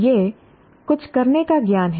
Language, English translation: Hindi, It is the knowledge of how to do something